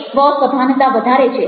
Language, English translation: Gujarati, this increases self awareness